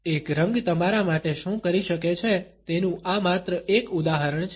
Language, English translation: Gujarati, This is just one example of what one color can do for you